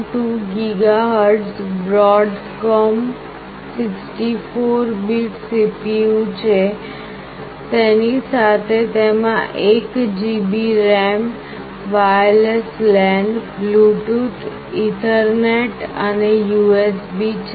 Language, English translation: Gujarati, 2 GHz Broadcom 64 bit CPU, along with that it has got 1 GB of RAM, wireless LAN, Bluetooth, Ethernet and USB